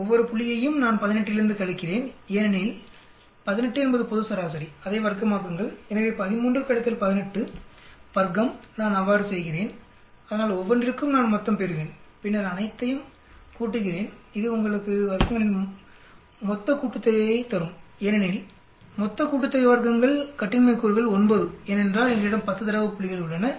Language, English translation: Tamil, Every point I subtract from the 18 because 18 is the global average, square it up, So 13 minus 18 subtract, square, like that I do so I will get total for each then add up all, this will give you total sum of squares, degrees of freedom for total sum of squares is 9 because we have 10 data points